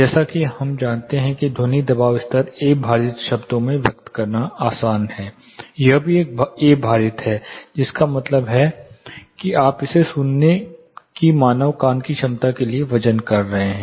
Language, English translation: Hindi, As we know sound pressure level is also you know easy to express in terms A weighted, this is also a weighted also means that you are waving it to the human ears capability of hearing